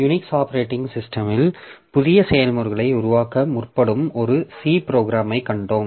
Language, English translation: Tamil, So, we have seen a C program that does forking to create new processes in Unix operating system